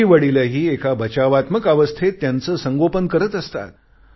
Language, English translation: Marathi, Parents also raise their children in a very protective manner